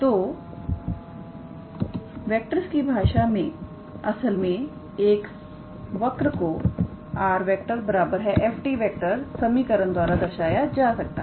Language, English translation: Hindi, So, in the language of vectors actually, a curve can be represented by an equation r is equals to f t all right